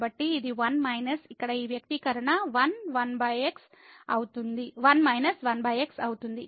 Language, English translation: Telugu, So, this is 1 minus something this expression here is 1 minus and 1 over